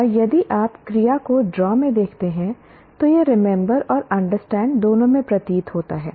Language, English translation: Hindi, And if you look at this word, the action verb draw also appears both in remember as well as understand